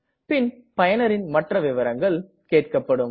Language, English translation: Tamil, We will be asked for other details too